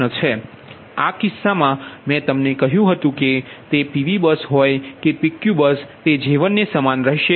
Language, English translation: Gujarati, so ah, in this case i told you that whether it is pv bus or pq bus, j one will remain same right